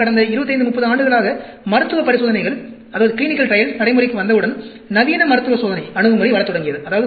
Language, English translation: Tamil, Then, once the clinical trials came into existence over the past 25 30 years, the modern clinical trial approach started coming in